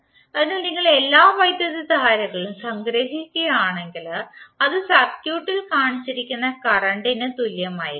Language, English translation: Malayalam, So if you sum up all the currents, it will be equal to current shown in the circuit